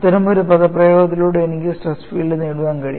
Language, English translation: Malayalam, wWith such an expression, it is possible for me to get the stress field